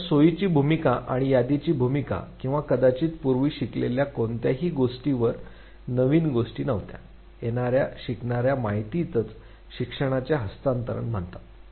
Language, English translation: Marathi, So, the facilitatry role or the inventory role or perhaps no role that the previously learned has over the new thing; the incoming learning information that is what is called as transfer of learning